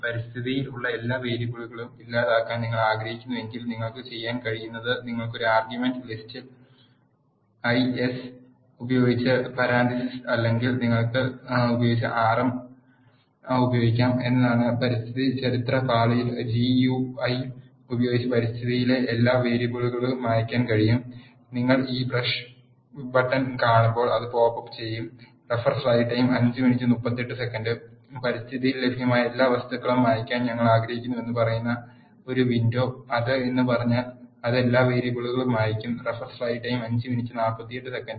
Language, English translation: Malayalam, If you want to delete all the variables that are there in the environment what you can do is you can use the rm with an argument list is equal to ls followed by parenthesis or you can clear all the variables in the environment using the GUI in the environment history pane you see this brush button, when you press the brush button it will pop up a window saying we want to clear all the objects that are available in environment if you say yes it will clear all the variables